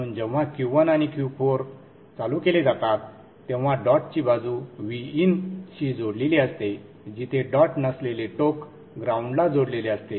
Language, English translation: Marathi, So when Q1 and Q4 are turned on, dot side is connected to VIN here the non dot end is connected to gram